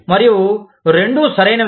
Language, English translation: Telugu, And, both are right